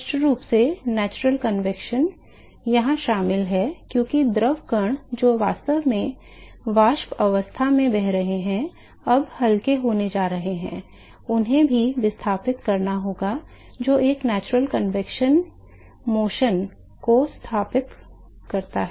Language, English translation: Hindi, Clearly natural convection is involved here because the fluid particles which are actually flowing into vapor stage is, now going to be lighter also they have to be displaced also that is sets up a natural convection motion